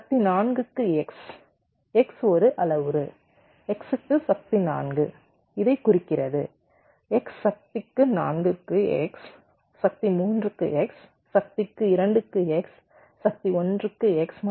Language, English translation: Tamil, you see, x to the power four, x is a parameter, x to to the power four represents this: x to the power four, x to the power three, x to the power two, x to the power one and x to the power zero